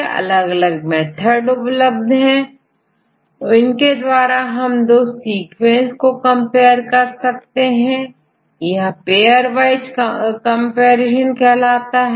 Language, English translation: Hindi, So, in this case, there are various methods available to compare these 2 sequences like this called the pairwise comparison